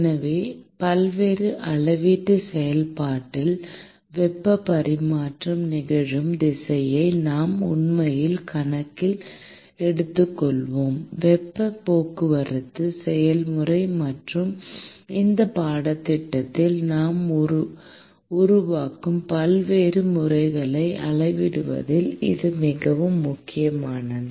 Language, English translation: Tamil, So, in various quantification process, we will actually take into account the direction in which the heat transfer occurs; and that actually is crucial in quantifying the heat transport process and the various methods that we will develop in this course